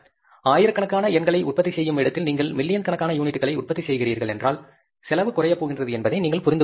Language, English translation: Tamil, And when you are manufacturing thousands of units and when you are manufacturing millions of units, you can understand the cost is going to go down